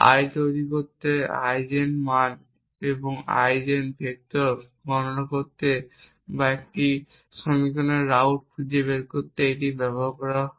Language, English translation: Bengali, You may have written a program to create the, I to compute the Eigen values or Eigen vectors or to find routs of an equation